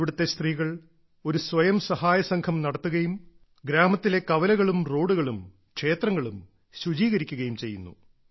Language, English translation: Malayalam, The women here run a selfhelp group and work together to clean the village squares, roads and temples